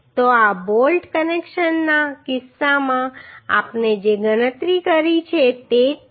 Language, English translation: Gujarati, So this is same as we calculated in case of bolt connections